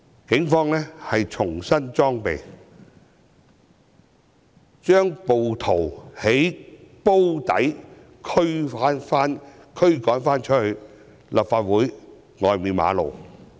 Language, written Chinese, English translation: Cantonese, 警方重新裝備後，把暴徒由"煲底"驅趕到立法會外的馬路。, After the Police were equipped with new accoutrements they dispersed the rioters from the Drum area to the road outside the Complex